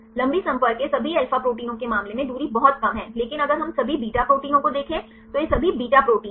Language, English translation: Hindi, There are the contacts from the long range it is very less in the in case of all alpha proteins, but if we look into the all beta proteins right this is the all beta proteins